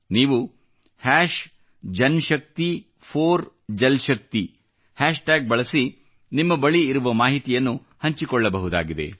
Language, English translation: Kannada, You can all share your content using the JanShakti4JalShakti hashtag